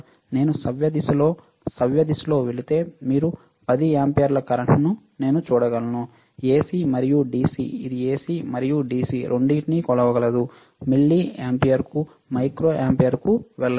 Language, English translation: Telugu, And if I go in a clockwise direction, clockwise then I can see current you see 10 amperes AC and DC it can measure both AC and DC go to milliampere, go to micro ampere, right